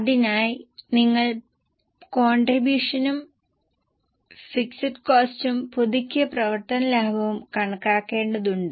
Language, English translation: Malayalam, And for that you have to calculate contribution, EPC and revised operating profit